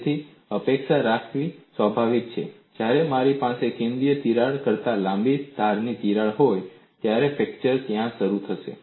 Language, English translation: Gujarati, So, it is obvious to expect, when I have double edge crack longer than the central crack, fracture would initiate there